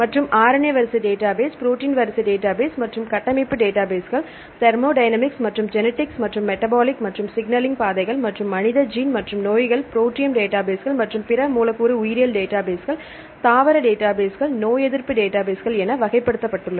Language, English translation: Tamil, And RNA sequence databases, protein sequence databases and structure databases thermodynamics and genomics and metabolic and signaling pathways, and human gene and diseases, proteome databases as well as the other molecular biology databases, plant database, immunological database and so on